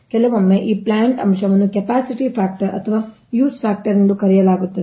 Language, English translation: Kannada, so this is known as plant factor, capacity factor or use factor